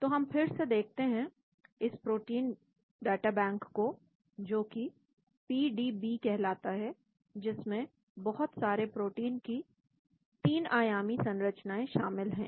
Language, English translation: Hindi, So let us again look at this protein databank that is called PDB, which contains the 3 dimensional structure of large number of proteins